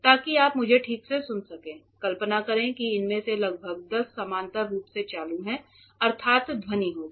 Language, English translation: Hindi, So, that you can hear me properly imagine around 10 of this switched on parallely so; that means, sound will be there